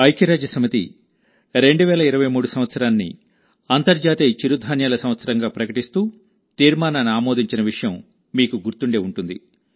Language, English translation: Telugu, You will remember that the United Nations has passed a resolution declaring the year 2023 as the International Year of Millets